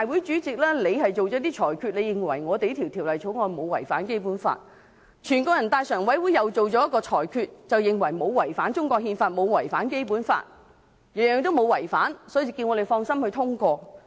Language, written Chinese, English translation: Cantonese, 雖然立法會主席作出裁決，認為《條例草案》沒有違反《基本法》，全國人民代表大會常務委員會也作出裁決，認為沒有違反中國憲法、沒有違反《基本法》，全部沒有違反，所以叫我們放心通過。, The Standing Committee of the National Peoples Congress NPCSC also considers that the Bill does not contravene the Basic Law and opines that none of the provisions in the Bill contravenes the Basic Law and that Members can rest assured and pass the Bill